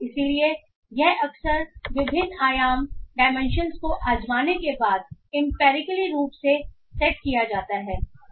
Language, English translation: Hindi, So this is often set empirically after trying out various dimension sizes